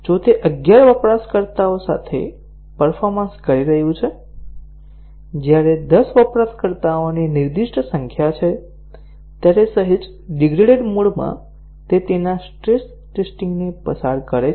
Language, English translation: Gujarati, If it is performing with eleven users, when ten is the specified number of users, in a slightly degraded mode it passes its stress testing